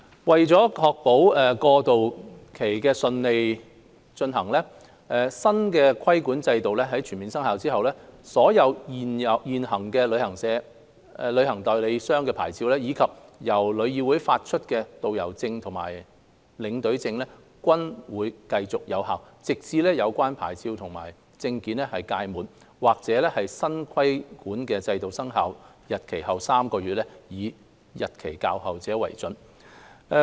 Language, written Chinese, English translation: Cantonese, 為確保過渡期順利，新規管制度全面生效後，所有現行旅行代理商牌照，以及由旅議會發出的導遊證和領隊證，均會繼續有效，直至有關牌照和證件屆滿，或新規管制度生效日期後3個月，以日期較後者為準。, To ensure a smooth transition upon the full commencement of the new regulatory regime all existing travel agent licences as well as tourist guide passes and tour escort passes issued by TIC will remain valid until they expire or three months after the commencement date of the new regulatory regime whichever is the later